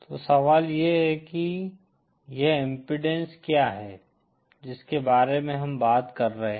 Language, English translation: Hindi, So the question is what is this impedance that we are talking about